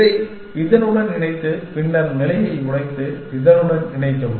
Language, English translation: Tamil, And connects that with this and then break the stage and connect this with this